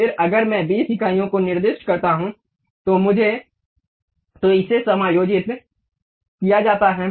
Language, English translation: Hindi, Then if I specify 20 units, it is adjusted